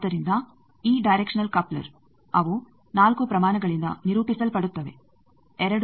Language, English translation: Kannada, So, these directional couplers they get characterized by 4 quantities 2 are here